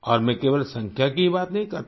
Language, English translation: Hindi, And I'm not talking just about numbers